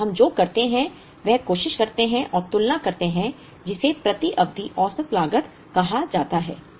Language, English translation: Hindi, So, what we do is we try and compare what is called a per period average cost